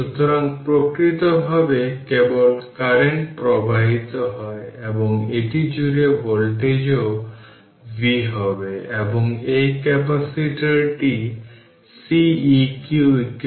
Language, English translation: Bengali, So, naturally ah only current flowing is i naturally voltage across this also will be v right and this capacitor is Ceq equivalent circuit